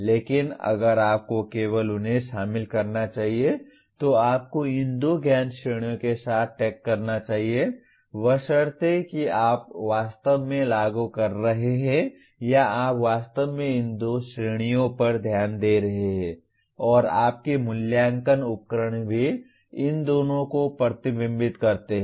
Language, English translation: Hindi, But if only you should include them, you should tag with these two knowledge categories provided that you are actually implementing or you are actually conducting your instruction paying attention to these two categories and also your assessment instruments do reflect these two